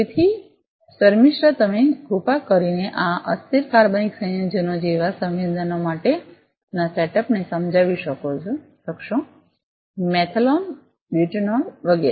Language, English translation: Gujarati, So, Shamistha could you please explain the setup that you have for sensing volatile organic compounds like; methanol, butanol etcetera